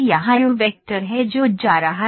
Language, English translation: Hindi, Here is the u vector which is going